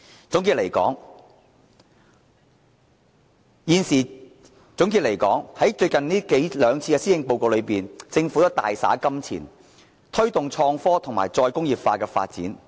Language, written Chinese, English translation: Cantonese, 總的來說，政府在最近兩次施政報告都大灑金錢，推動創科及再工業化發展。, In a nutshell the Government has spent big on innovation and technology and re - industrialization in the Policy Addresses this year and the last